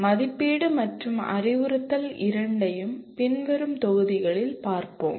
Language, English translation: Tamil, We will be looking at both assessment and instruction in later modules